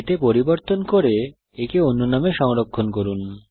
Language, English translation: Bengali, Make changes to it, and save it in a different name